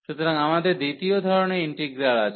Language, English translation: Bengali, So, this is another for the second kind of integral